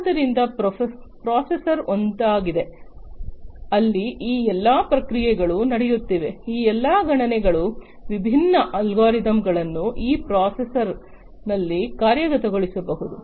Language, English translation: Kannada, So, processor is the one, where all this processing are taking place all these computations different algorithms can be executed at this processor